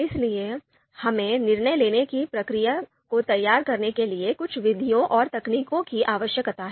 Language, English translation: Hindi, So therefore, we need certain methods and techniques to structure the decision making process